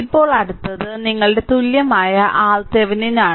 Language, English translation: Malayalam, Now next is next is your equivalent R Thevenin